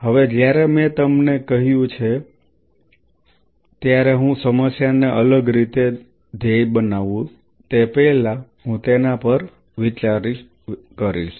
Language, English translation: Gujarati, Now when I have said you we could target the problem in a different way before I get into that now think of it